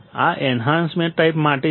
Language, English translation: Gujarati, This is for Enhancement type